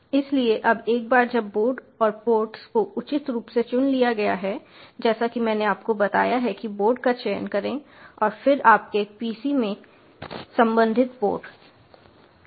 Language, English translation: Hindi, so now the, once the board and the ports have been appropriately selected, as i have told you, select the board, then the corresponding port in your pc for windows base systems